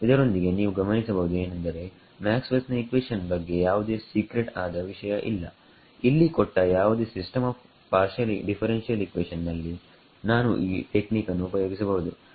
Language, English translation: Kannada, Also, you notice that there is nothing very secret about Maxwell’s equations here given any system of partial differential equations I can use this technique right